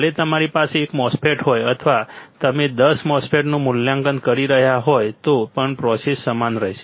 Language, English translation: Gujarati, Whether you have everything one MOSFET or you are evaluating ten MOSFETs the process remains the same right process remains the same